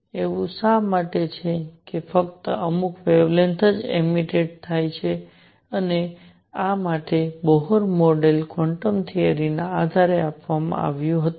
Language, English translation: Gujarati, Why is it that only certain wavelengths are emitted and for this Bohr model was given based on the quantum theory